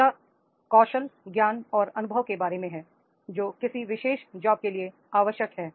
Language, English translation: Hindi, Next is about the skills, knowledge and experience that is required for a particular job